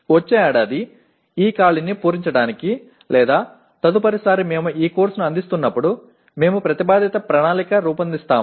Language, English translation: Telugu, And to close this gap next year/next time we offer this course, we are going to the proposed plan is this